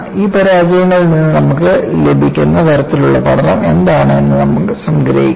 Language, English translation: Malayalam, What is the kind oflearning that you could get from all these failures